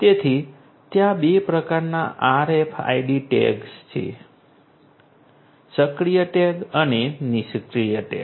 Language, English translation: Gujarati, So, there are two types of RFID tags, the active tag and the passive tag